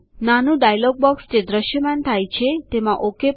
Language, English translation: Gujarati, Click on OK in the small dialog box that appears